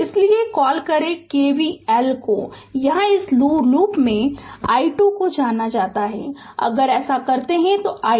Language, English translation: Hindi, Therefore, you apply your what you call KVL, here in this loop i 2 is known so, if you do so let me so i 2 is minus 2 ampere